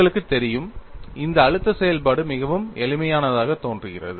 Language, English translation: Tamil, You know, this stress function looks very, very simple